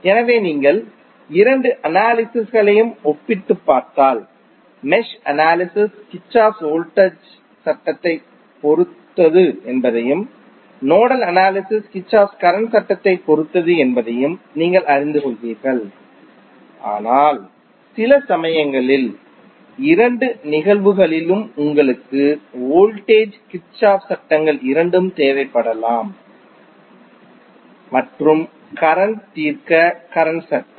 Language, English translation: Tamil, So, if you compare both of the analysis you will come to know that mesh analysis is depending upon Kirchhoff Voltage Law and nodal analysis is depending upon Kirchhoff Current Law but sometimes in both of the cases you might need both of the Kirchhoff’s Laws that is voltage law as well as current law to solve the circuit